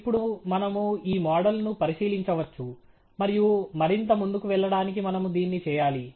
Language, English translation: Telugu, Now, we can examine this model and we should do it to proceed further